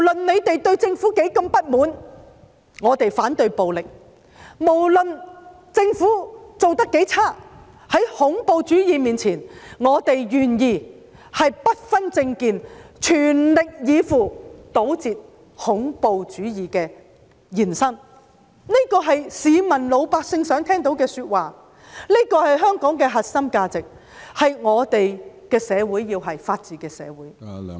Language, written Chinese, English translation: Cantonese, 即使對政府有多麼不滿，我們要反對暴力，無論政府做得多麼差勁，在恐怖主義面前，我們願意不分政見，全力以赴，堵截恐怖主義的延伸，這是市民想聽到的說話，這是香港的核心價值，我們要的是法治社會。, No matter how bad the Governments performance is in the face of terrorism we are willing to make an all - out effort regardless of our political views in blocking the spread of terrorism . This is what the public want to hear and is the core value of Hong Kong . What we want is a society that upholds the rule of law